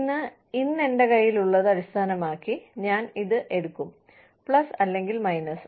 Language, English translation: Malayalam, Today, based on, what i have in hand today, i will make this, plus or minus decision